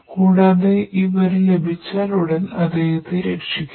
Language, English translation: Malayalam, So, as soon as we get this information, we will be able to rescue him